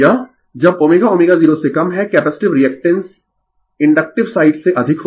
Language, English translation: Hindi, When omega less than omega 0, the capacitive reactance is more then your inductive side right